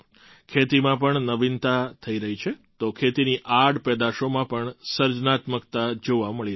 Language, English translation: Gujarati, Innovation is happening in agriculture, so creativity is also being witnessed in the byproducts of agriculture